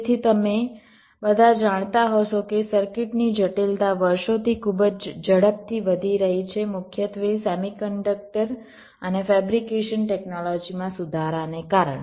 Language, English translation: Gujarati, so, as you all must be, knowing that the complexity of circuits have been increasing very rapidly over the years, primarily because of improvements in semi conductor and fabrication technologies